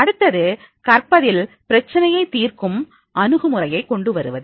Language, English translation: Tamil, Next is employ a problem solving approach to the learning